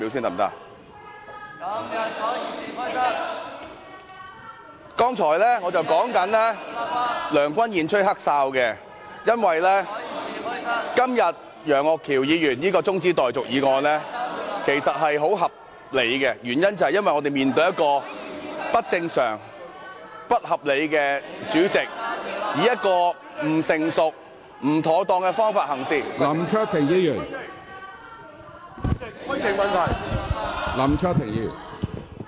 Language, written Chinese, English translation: Cantonese, 我剛才正在說梁君彥吹"黑哨"，因為今天楊岳橋議員提出的中止待續議案是非常合理的，原因是我們面對一個不正常和不合理的主席，以不成熟和不妥當的方法行事......, I was saying that Andrew LEUNG was playing corrupt referee because today Mr Alvin YEUNG has proposed a very reasonable adjournment motion . The reason is we are facing an abnormal and unreasonable President acting in an immature and improper manner